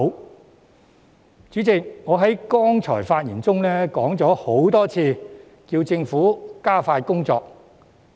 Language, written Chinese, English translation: Cantonese, 代理主席，我剛才發言時多次要求政府加快工作。, Deputy President I have repeatedly asked the Government to expedite its work when I spoke a while ago